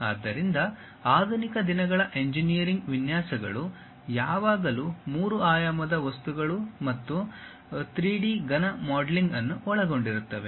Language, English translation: Kannada, So, the modern days engineering designs always involves three dimensional objects and 3D solid modelling